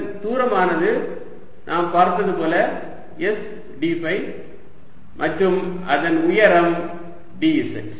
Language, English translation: Tamil, this distance is going to be, as we just saw, s d phi and the height is d z